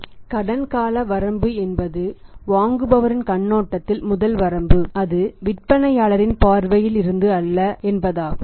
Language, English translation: Tamil, So, it means the credit period limitation is there and this is the first limitation from the perspective of the buyer not from the perspective of the seller